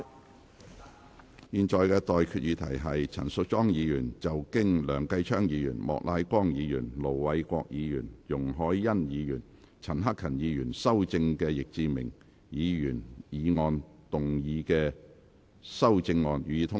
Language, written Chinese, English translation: Cantonese, 我現在向各位提出的待議議題是：陳淑莊議員就經梁繼昌議員、莫乃光議員、盧偉國議員、容海恩議員及陳克勤議員修正的易志明議員議案動議的修正案，予以通過。, I now propose the question to you and that is That Ms Tanya CHANs amendment to Mr Frankie YICKs motion as amended by Mr Kenneth LEUNG Mr Charles Peter MOK Ir Dr LO Wai - kwok Ms YUNG Hoi - yan and Mr CHAN Hak - kan be passed